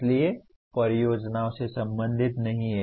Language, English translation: Hindi, So do not relate to the projects